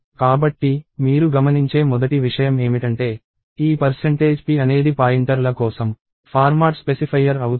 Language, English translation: Telugu, So, the first thing you notice is, this percentage p is a format specifier for pointers